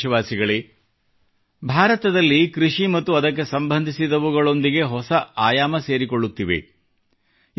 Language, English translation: Kannada, new dimensions are being added to agriculture and its related activities in India